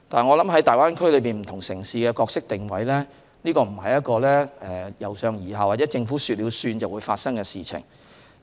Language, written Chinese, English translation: Cantonese, 我認為，在大灣區內不同城市的角色定位，不是一個由上而下或"政府說了算"的事情。, In my view the roles or positioning of different cities in the Greater Bay Area cannot be simply imposed with a top - down approach or instantly established under an instruction by the government